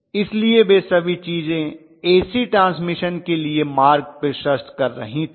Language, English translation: Hindi, So all those things were you know paving the way for AC transmission all of them together, yes